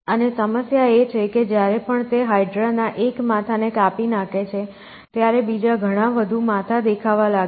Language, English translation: Gujarati, And the problem is every time he cuts one head of the hydra many more appearance essentially